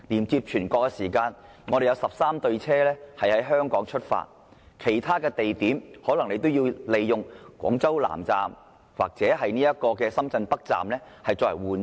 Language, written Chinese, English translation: Cantonese, 要乘高鐵前往全國，有13對列車會在香港出發，但從其他地點出發可能須在廣州南站或深圳北站轉車。, There will be 13 train pairs departing from Hong Kong to other places in China but if one is to depart from other places he might have to interchange at the Guangzhou South or Shenzhen North Stations